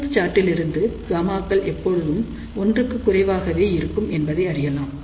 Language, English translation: Tamil, And for the Smith chart, we know that gammas are always less than 1